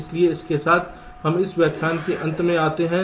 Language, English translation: Hindi, so with this we come to the end of this lecture